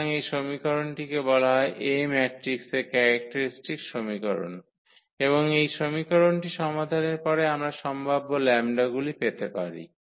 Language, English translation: Bengali, So, this equation is called characteristic equation of the matrix A and after solving this equation we can get the possible lambdas